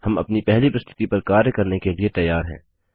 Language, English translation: Hindi, We are now ready to work on our first presentation